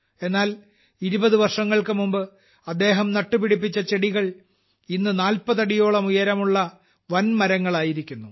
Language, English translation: Malayalam, But these saplings that were planted 20 years ago have grown into 40 feet tall huge trees